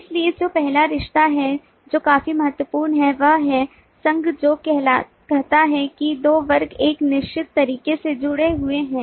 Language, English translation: Hindi, so the first relationship, which is quite important, is association, which says that the two classes are associated in a certain way